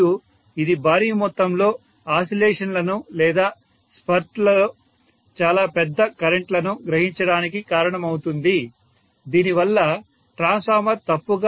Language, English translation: Telugu, And this will cause huge amount of oscillations or very large currents to be drawn in spurts because of which the transformer can malfunction